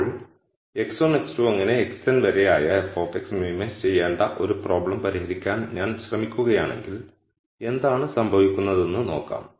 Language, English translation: Malayalam, Now, let us see what happens if I am trying to solve a problem where I have to minimize f of x which is x 1 x 2 all the way up to x n